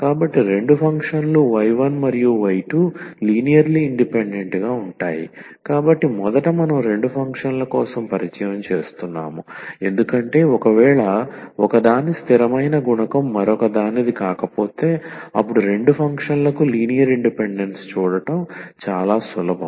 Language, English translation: Telugu, So, two functions y 1 and y 2 are linearly independent, so first we are introducing for two functions because this is much easier to see the linear independence for two function, if one is not the constant multiple of the other